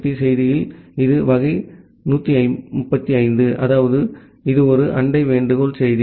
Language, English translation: Tamil, So, in the ICMP message it is type 135; that means, it is a neighbor solicitation message